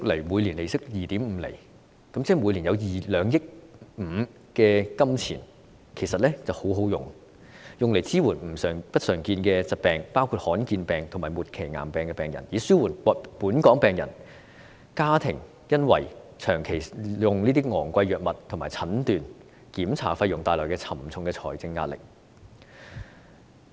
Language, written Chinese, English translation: Cantonese, 每年利息 2.5 厘，即每年有2億 5,000 萬元，其實真的很好，可用來支援不常見疾病的病人，以紓緩本港病人及其家庭因為長期使用昂貴藥物及負擔診斷和檢查費用而帶來的沉重財政壓力。, With an annual interest rate of 2.5 % the sum will be 250 million per year which is really remarkable . It can be used to support patients with uncommon diseases including rare diseases and terminal cancers so as to mitigate the heavy financial burden on Hong Kong patients and their families due to the long - term use of expensive drugs and the payment for diagnosis and examination